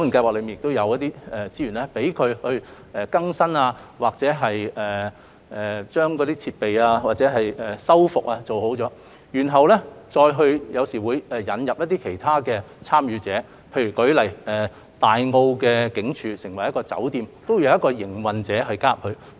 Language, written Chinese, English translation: Cantonese, 我知道該伙伴計劃可提供資源翻新建築物或復修設施，然後或會引入其他參與者，例如前身為大澳警署的酒店，也有一個營運者加入營運。, I know that the Partnership Scheme can provide resources for building renovation or facility restoration and then it may introduce other participants to take up the operation of the historic buildings . For example an enterprise has taken up the operation of the Tai O Heritage Hotel which was formerly the Tai O Police Station